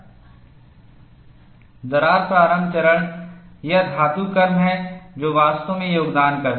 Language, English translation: Hindi, The crack initiation phase, it is the metallurgists, who really make a contribution